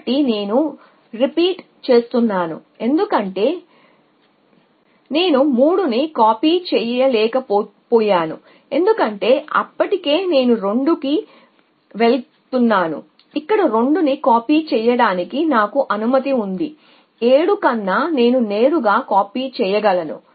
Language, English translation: Telugu, So, because I could not copy 3, because already there I go to 2 I am allowed I can copy to 2 here than 7 I can copy directly